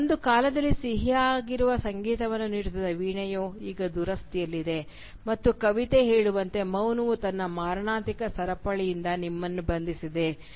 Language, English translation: Kannada, The harp whose music was once so sweet has now fallen into disrepair and as the poem says, “Silence hath bound thee with her fatal chain”